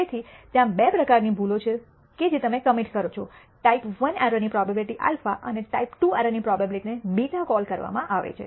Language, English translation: Gujarati, So, there are two types of errors that you commit what to call the type I error probability alpha, and the type II error probability beta